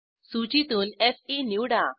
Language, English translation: Marathi, Select Fe from the list